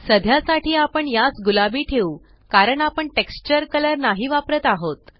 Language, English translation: Marathi, For now, lets leave it as pink because we are not using the texture color